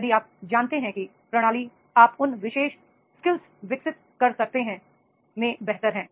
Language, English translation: Hindi, If you are better into the know how system you can develop that particular skills